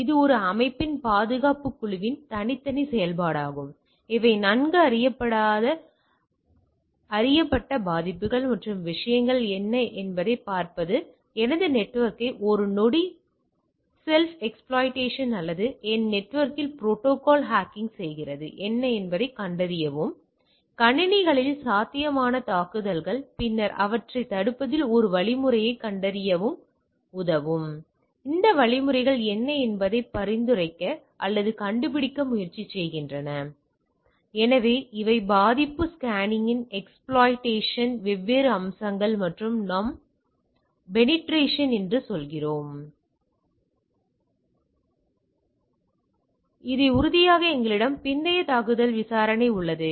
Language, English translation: Tamil, So, these are this is a separate activity of the security group of a organisation to look at that what are the different well known vulnerabilities and type of things do a sec self exploitation of my network or ethical hacking on my network, find out that what are the possible attacks which are possible in to the systems and then try to recommend or find out what are the mechanisms will help in the detecting a in preventing those, right